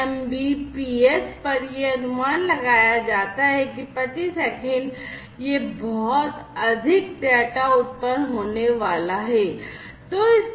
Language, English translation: Hindi, At 100 mbps roughly, it is estimated that this much of data is going to be generated per second